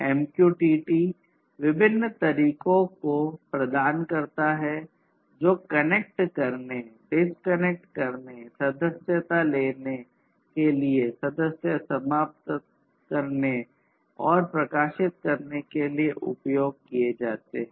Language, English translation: Hindi, Some of these methods that are used in MQTT are connect, disconnect, subscribe, unsubscribe, and publish